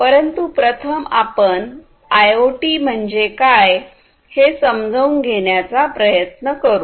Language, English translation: Marathi, But first let us try to understand what is IoT